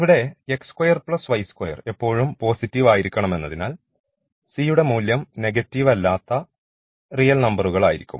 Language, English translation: Malayalam, So, c 1 c 2 any real number and the c 3 is a positive, a non negative real number